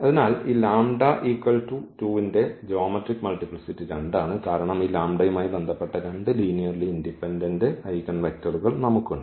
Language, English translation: Malayalam, So, the geometric multiplicity of this lambda is equal to 2 is 2, because we have two linearly independent eigenvectors corresponding to this lambda is equal to 2 ok